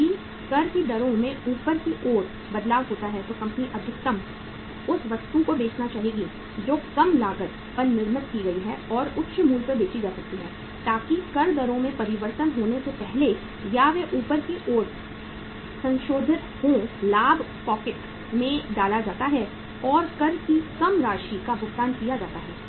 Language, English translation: Hindi, If there is a upward change in the tax rates is expected then firm would like to sell maximum that inventory which has been manufactured at the low cost and is sellable at the high price so that before the tax rates change upward or they are revised upward maximum profit is pocketed and lesser amount of the tax is paid